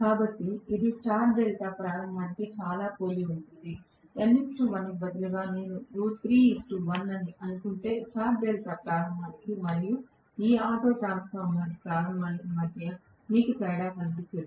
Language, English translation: Telugu, So, it is very very similar to star delta starting, if I assume that instead of n is to 1 I have root 3 is to 1, you would not see any difference between the star delta starting and this auto transformer starting